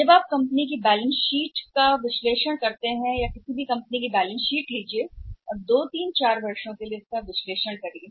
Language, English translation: Hindi, When you analyse the balance sheets of the company pick up the balance sheet of any company and analyse it for the past 2, 3, 4 years